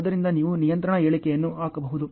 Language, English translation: Kannada, So, you can put a control statement ok